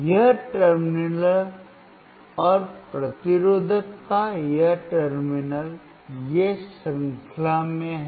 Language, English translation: Hindi, This terminal and this terminal of the resistor, these are in series